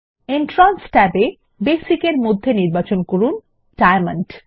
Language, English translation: Bengali, In the Entrance tab, under Basic, select Diamond